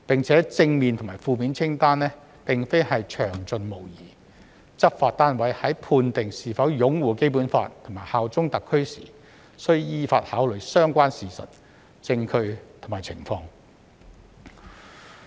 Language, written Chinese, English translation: Cantonese, 此外，正面及負面清單並非詳盡無遺，執法單位在判定是否擁護《基本法》和效忠特區時，須依法考慮相關事實、證據和情況。, Furthermore the positive and negative lists are not exhaustive . When determining whether a member upholds the Basic Law and bears allegiance to SAR the law enforcement agencies must consider relevant facts evidence and circumstances in accordance with the law